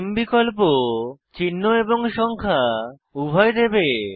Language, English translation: Bengali, Name option will give both symbol and number